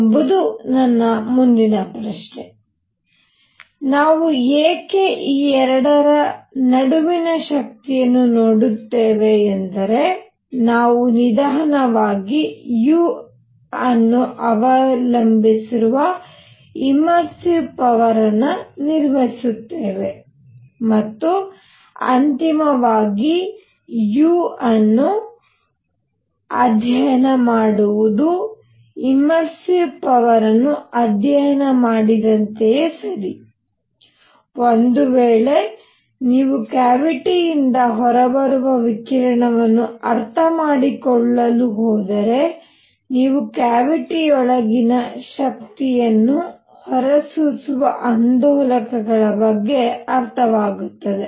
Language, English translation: Kannada, Why I am doing that is; slowly we will build up that the immersive power which will depend on u, and finally what we are going come is study u that is as good as studying the immersive power if you are going to understand the radiation coming out the cavity and u would be related to oscillators that are emitting energy inside the cavity